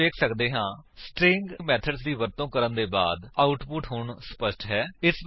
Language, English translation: Punjabi, So let us use the String methods to clean the output